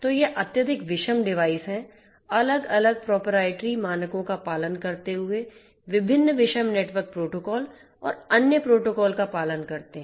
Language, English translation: Hindi, So, these are highly heterogeneous devices, following different different own proprietary standards, following different heterogeneous protocols using different heterogeneous protocols network protocols and other protocols and so on